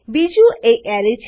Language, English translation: Gujarati, 2nd is the Array